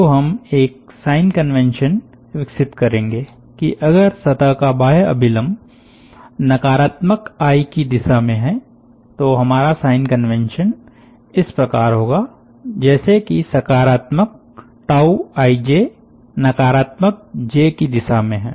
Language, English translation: Hindi, so we will develop a sign convention that if the outward normal of the surface is along negative i, we will have the sign conventions such that positive tau i j is along negative j